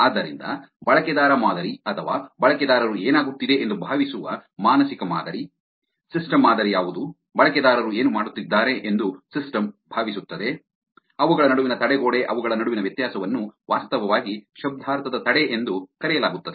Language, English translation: Kannada, So, user model or the mental model which what users think that is happening, system model which is what, the system thinks that the user are doing, the barrier between them the difference between them is actually called semantic barrier